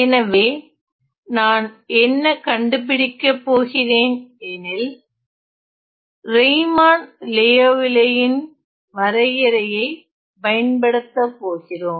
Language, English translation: Tamil, So, what I am doing is I am going to find let me just use, let me just use my Riemann Liouville definition